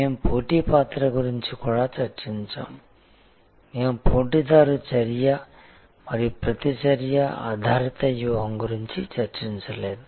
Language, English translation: Telugu, We had also discussed the role of the competition, we did not discuss a competitor action and reaction driven strategy